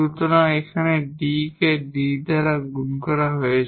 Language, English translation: Bengali, Here we will have D D so that will be D square